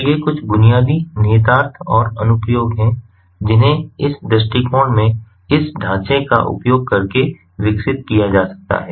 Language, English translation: Hindi, so these are some of the basic implications and applications which can be developed using this framework, in this approach